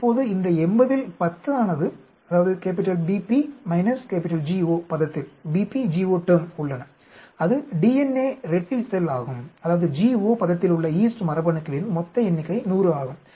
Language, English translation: Tamil, Now 10 of these 80 are in BP GO term, that is DNA replication, but total number of yeast genes in GO term is 100